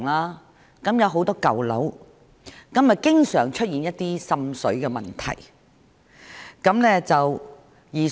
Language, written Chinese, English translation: Cantonese, 那些地區有很多舊樓，而且經常出現一些滲水的問題。, Water seepage problems are quite common in many old buildings in those districts